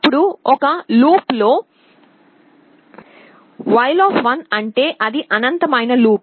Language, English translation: Telugu, Then in a loop, while means it is an infinite loop